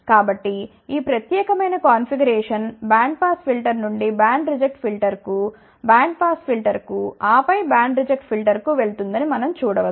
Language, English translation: Telugu, So, we can see that this particular configuration will go from band pass filter to band reject filter, to band pas filter and then band reject filter